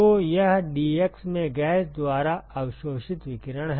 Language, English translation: Hindi, So, this is the radiation absorbed by the gas in dx